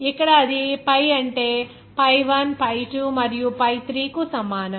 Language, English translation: Telugu, Here that will be pi is equal to what that pi 1 pi2 is and what is that